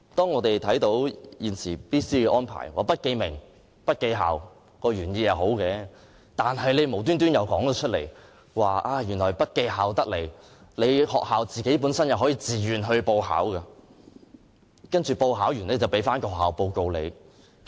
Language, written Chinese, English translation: Cantonese, 我們看到現時 BCA 的安排，不記名和不記校的原意是好的，但政府卻又提出，即使不記校，學校也可以自願報考，然後可取得報告。, We see that the original intention of maintaining anonymity of students and schools under the present BCA arrangements is good but then the Government proposed that even though the schools would be kept anonymous they could sign up for the assessment of their own accord and then obtain a report